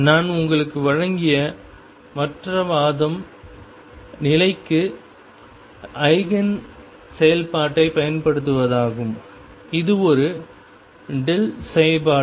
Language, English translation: Tamil, The other argument I gave you was using the Eigen function for position, which is a delta function